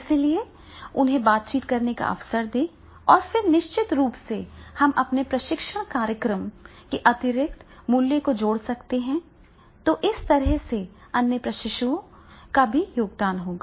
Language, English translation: Hindi, So give them the opportunity to interact, if we give them opportunity to interact and then definitely we can add the value to our training programs in addition to whatever the other trainees are there, they will also contribute